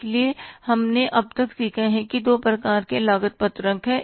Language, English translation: Hindi, So, we learned till now that is the two types of the cost sheets